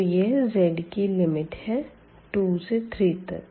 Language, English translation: Hindi, So, this is the z is equal to 1 here